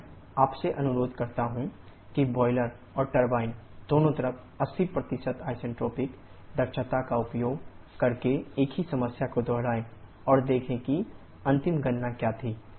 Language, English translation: Hindi, I request you to repeat the same problem by using and 80% isentropic efficiency on both boiler and turbine side and see what were the final calculation